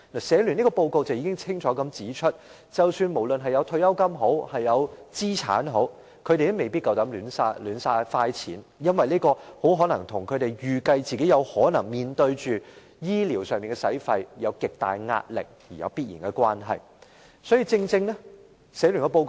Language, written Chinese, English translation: Cantonese, 社聯這份報告已清楚指出，無論長者有退休金或資產，他們也未必敢亂花錢，這或許由於他們預計自己可能面對醫療費用，因而有極大的壓力所致。, This report of HKCSS has clearly pointed out that the elderly may not dare spend money randomly irrespective of whether they have pension or assets . This is probably because they anticipate possible health care expenses and are therefore under immense pressure